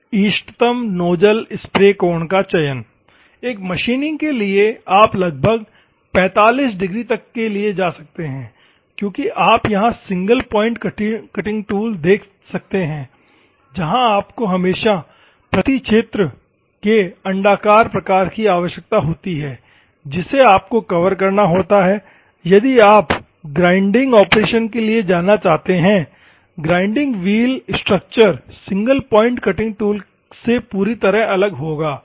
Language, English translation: Hindi, The selection of optimum nozzle, spray angle, for a machining you can go for approximately 45 will be the better, as you can see single point cutting tool here, where you require always elliptical type of per area, you which has to cover and if at all you want to go for the grinding operation, the grinding wheel structure will be completely different from the single point cutting tool